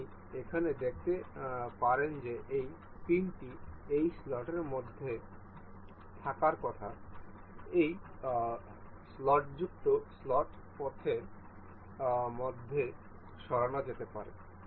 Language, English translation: Bengali, You can see here the the this pin is supposed to be within this slot that can be moved within this slotted the slot path